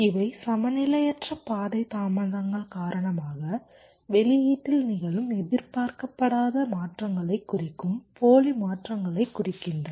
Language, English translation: Tamil, these refer to spurious transitions, that means transitions which are functionally not expected to happen in the output due to unbalanced path delays